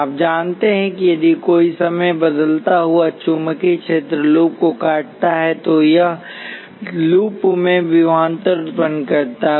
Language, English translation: Hindi, You know that if a time varying magnetic fields cuts the loop, it induces a voltage in the loop